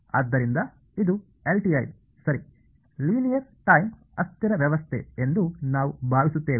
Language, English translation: Kannada, So, we will just assume that this is LTI ok, Linear Time Invariance system